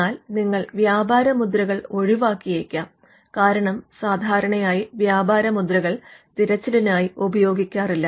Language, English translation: Malayalam, You would normally avoid trademarks, because trademarks are not used while doing a search